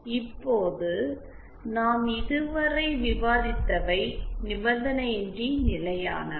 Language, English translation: Tamil, Now what we had so far discussed is for the unconditionally stable